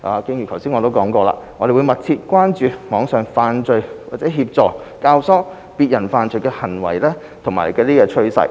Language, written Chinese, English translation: Cantonese, 正如剛才所說，我們會密切注意網上犯罪或協助、教唆別人犯罪的行為和趨勢。, As just mentioned we have been paying close attention to acts of committing or aiding and abetting others to commit online offences and their trends